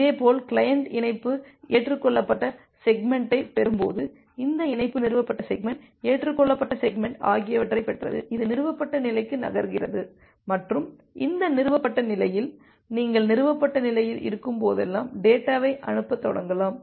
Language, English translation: Tamil, Similarly the client when it gets the connection accepted segment it received this connection established segment, accepted segment and it moves to the established state and in this established state, you can start transmitting the data whenever you are in the established state